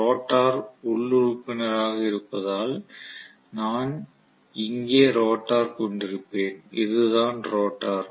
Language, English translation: Tamil, Because the rotor will be the internal member I will have the rotor sitting here, this is the rotor